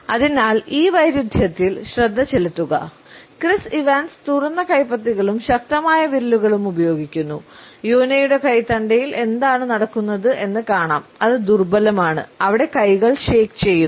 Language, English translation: Malayalam, So, pay attention to this contrast this with Chris Evans very open available palms and strong fingers to see what Jonah has going on with his wrists which it is kind of flimsy it kind of just shakes there